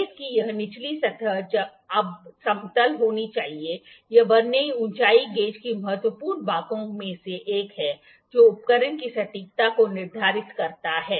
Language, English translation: Hindi, This bottom surface of the base has to be flat now this is one of the important parts of the Vernier height gauge that determines the accuracy of the instrument